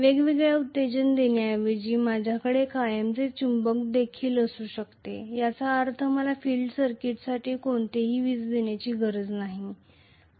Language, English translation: Marathi, Instead of having a separate excitation I can also have permanent magnet, which means I do not have to give any electricity for the field circuit